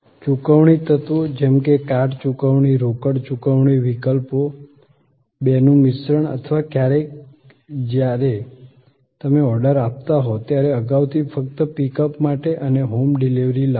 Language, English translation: Gujarati, Payment elements, card payment, cash payment, options, mix of the two or sometimes when you are placing the order, beforehand just for pickup and bring home delivery